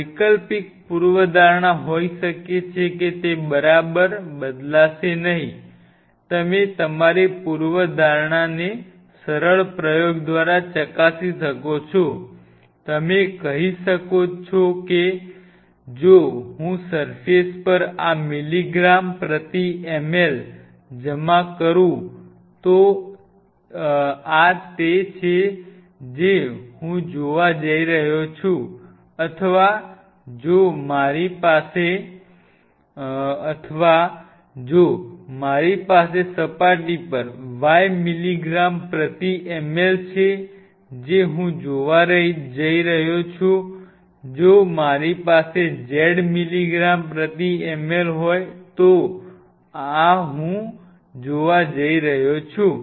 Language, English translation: Gujarati, The alternate hypothesis could be it will not change right you can test your hypothesis by simple experiment you can say if I deposit say this milligram per ml on the surface this is what I am going to see or if I have y milligram per ml on the surface this is what I am going to see, if I have a z milligram per ml this is what I am going to see